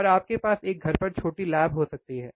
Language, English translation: Hindi, aAnd you can have a small lab at home